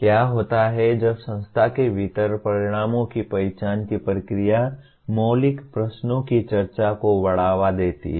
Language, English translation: Hindi, What happens when the very process of identification of the outcomes within institution promotes discussion of fundamental questions